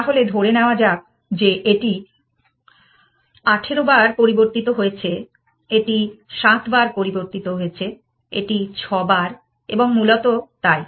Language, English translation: Bengali, So, let us say this was changed 18 times, this was changed 7 times, in 6 times and so on essentially, how many times did I change that bit essentially